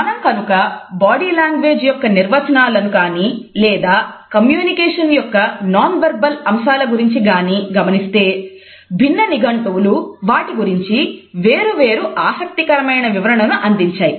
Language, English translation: Telugu, If we look at the definitions of body language or the nonverbal aspects of communication, we find that different dictionaries have tried to define them in interesting manner